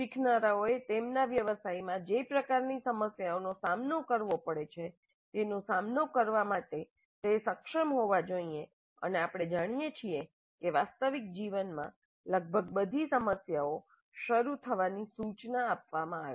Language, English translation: Gujarati, Learners must be able to deal with this kind of problems that they will actually encounter in their profession and we know that in their life almost all the problems are ill structured to begin with